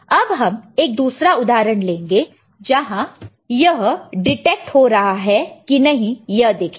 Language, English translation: Hindi, But let us see another example whether it is getting detected or not